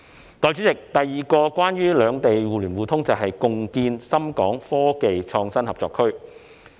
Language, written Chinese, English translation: Cantonese, 代理主席，第二個關於兩地互聯互通的重要舉措，是共建深港科技創新合作區。, Deputy President the second major initiative relating to the interconnectivity between the two places is the joint development of the ShenzhenHong Kong Innovation and Technology Co - operation Zone SITZ